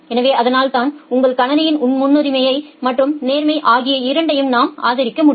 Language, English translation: Tamil, So, that way we will be able to support both priority as well as fairness in your system